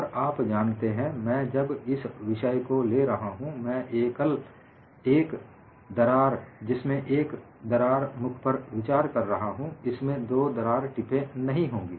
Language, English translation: Hindi, And when I take up this topic, I am going to consider a single crack having one crack tip; it will not have two crack tips